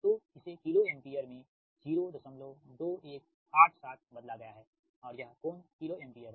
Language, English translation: Hindi, so converted to kilo ampere, point two, one, eight, seven, and this is the angle kilo ampere